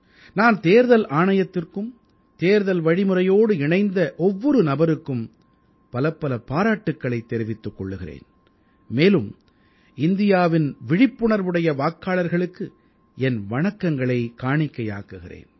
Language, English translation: Tamil, I congratulate the Election Commission and every person connected with the electioneering process and salute the aware voters of India